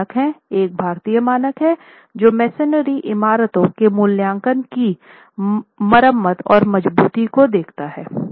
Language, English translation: Hindi, There are two standards, we have an Indian standard that looks at evaluation, repair and strengthening of masonry building